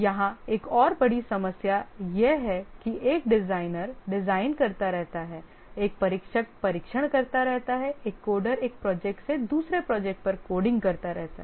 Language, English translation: Hindi, Another big problem here is that a designer keeps on doing design, a tester keeps on testing, a coder keeps on coding from one project to another project and so on